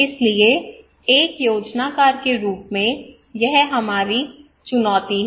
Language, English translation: Hindi, So this is our challenge as a planner right